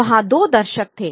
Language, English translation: Hindi, There were two audiences